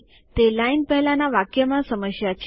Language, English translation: Gujarati, The line before it is causing a problem